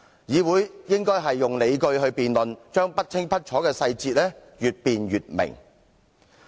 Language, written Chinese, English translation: Cantonese, 議會應該提出理據進行辯論，讓不清不楚的細節越辯越明。, The Council should put forward arguments in a debate so that obscure details will become clearer the more they are debated